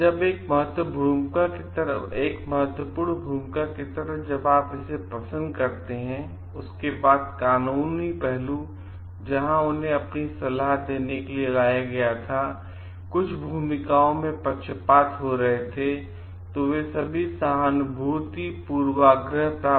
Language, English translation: Hindi, Like another important role when you find like, after this legal aspect where they were hired as, where there were some of the biases are playing the roles and they may get sympathy bias and all